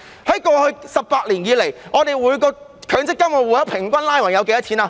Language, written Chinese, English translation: Cantonese, 在過去18年，每個強積金戶口平均有多少錢？, In the past 18 years what is the average amount of money in an MPF account?